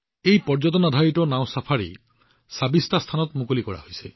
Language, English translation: Assamese, This Tourismbased Boat Safaris has been launched at 26 Locations